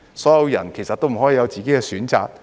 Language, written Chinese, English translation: Cantonese, 所有人都不可以有自己的選擇嗎？, Can everyone not make their own choice?